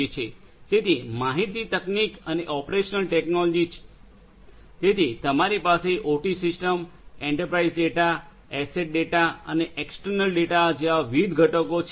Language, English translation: Gujarati, So, information technology and operational technology so, you have different components such as the OT systems, the enterprise data, asset data and external data